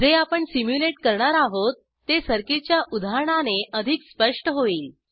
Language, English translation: Marathi, It will be more clear with the example circuit we will simulate